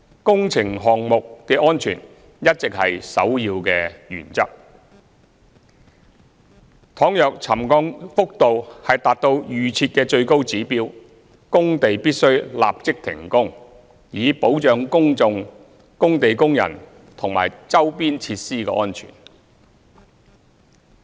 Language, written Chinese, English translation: Cantonese, 工程項目的安全一直是首要原則，倘若沉降幅度達到預設的最高指標，工地必須立即停工，以保障公眾、工地工人及周邊設施的安全。, As safety is always the top priority works on site shall be suspended immediately if the highest pre - set trigger level of settlement is reached to safeguard safety of the public construction personnel on site and facilities nearby